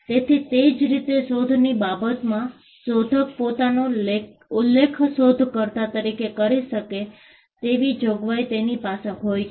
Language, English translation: Gujarati, So, similarly, with regard to inventions, you have a provision where the inventor can mention himself or herself as the inventor